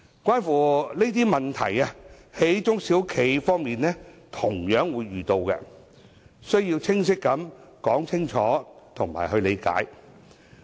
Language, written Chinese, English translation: Cantonese, 上述問題，中小企方面同樣會遇到，因此，須有清晰說明和理解。, As SMEs will also encounter the above situation they do need clear explanations and a good understanding of the issues involved